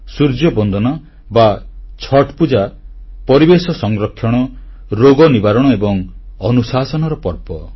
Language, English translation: Odia, Sun worship or Chhath Pooja is a festival of protecting the environment, ushering in wellness and discipline